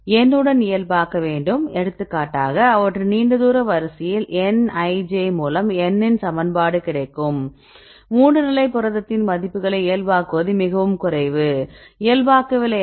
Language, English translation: Tamil, So, what is long equation of a long range order nij by n, but the case of 3 state protein right if you normalize the values is very less, but if you do not normalize, then this is 0